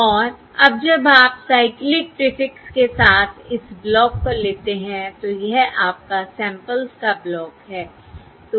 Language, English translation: Hindi, And now when you take this block with cyclic prefix, this is your block of samples